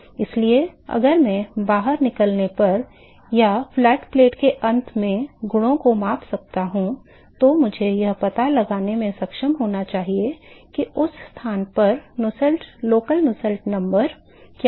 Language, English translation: Hindi, So, if I can measure the properties at the exit or at the end of the flat plate, then I should be able to find out what is the local Nusselt number at that location